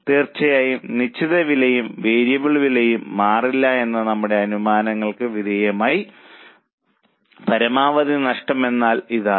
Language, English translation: Malayalam, Of course subject to our assumptions that fixed costs and variable costs don't change